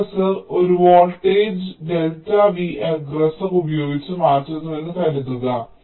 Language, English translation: Malayalam, it now suppose the aggressor changes the voltage by an amount delta v aggressor